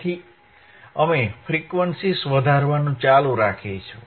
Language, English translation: Gujarati, So, we will keep on increasing the frequency